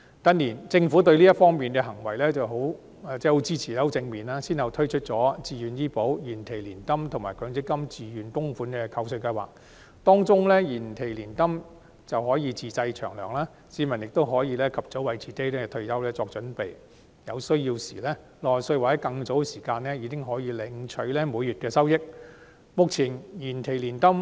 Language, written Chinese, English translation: Cantonese, 近年，政府對這方面的建議很支持，反應亦很正面，先後推出自願醫保計劃、延期年金計劃及強制性公積金可扣稅自願供款的計劃，當中的延期年金計劃可供自製"長糧"，市民可及早為退休作準備，有需要時可在60歲或更早時間領取每月收益。, In recent years the Government has been very supportive of and responding positively to proposals in this respect . It has one after another put forth the Voluntary Health Insurance Scheme deferred annuity policies and tax deductible voluntary contributions under the Mandatory Provident Fund System . Among them the deferred annuity policies even allow self - arranged pensions so that people can make early preparations for retirement to obtain monthly benefits at 60 years of age or earlier if and when necessary